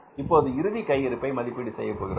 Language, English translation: Tamil, So, we have calculated the opening stock